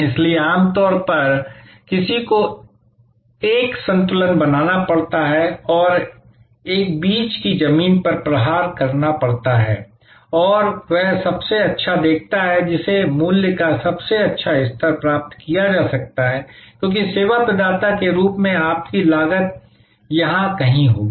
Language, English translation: Hindi, So, usually therefore, one has to create a balance and strike a middle ground and see the best that can be obtained the best level of price, because your cost as a service provider will be somewhere here